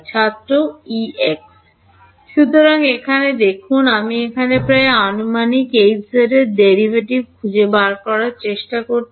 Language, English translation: Bengali, So, look over here I am trying to find out approximate H z derivative over here